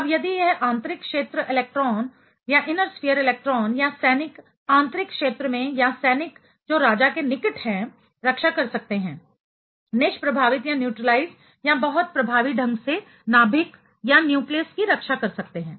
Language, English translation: Hindi, Now, if if this inner sphere electron or the soldier in the inner sphere zone or soldier which are close to the king can protect, can neutralize or can protect the nucleus very effectively